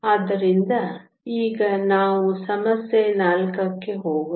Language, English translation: Kannada, So, let us now to go to problem 4